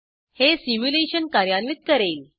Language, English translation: Marathi, This will run the simulation